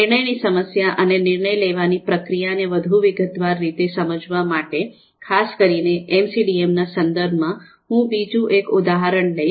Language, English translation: Gujarati, Now to understand a decision problem and decision making process in a more detailed manner, specifically in MCDM context, the context of this course, let’s take another example